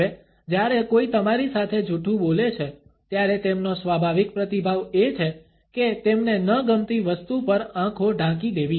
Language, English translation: Gujarati, Now, when somebody is lying to you, their natural response is to cover their eyes to something that they do not like